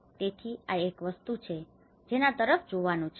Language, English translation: Gujarati, So, this is one thing one has to look at